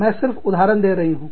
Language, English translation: Hindi, I am just, giving you an example